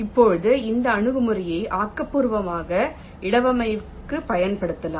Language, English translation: Tamil, now this approach can be used for constructive placement